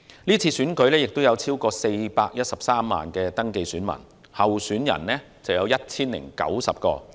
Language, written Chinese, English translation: Cantonese, 是次選舉有超過413萬名登記選民，候選人有 1,090 名。, There are more than 4.13 million registered voters and 1 090 candidates in the upcoming DC Election